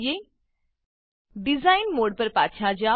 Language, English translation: Gujarati, Switch back to Design mode